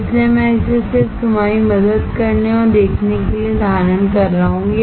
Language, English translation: Hindi, So, that is why I am holding it just to help you out and to see